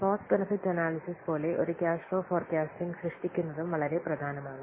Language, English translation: Malayalam, So like cost benefit analysis, it is also very much important to produce a cash flow forecast